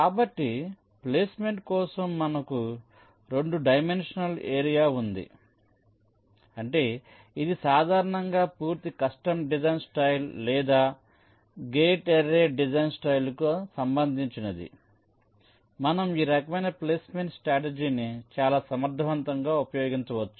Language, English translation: Telugu, ok, so if we have a two dimensional area for placement, which is typically the case for a full custom design style or a gate array design style, then you can use this kind of a placement strategy very effectively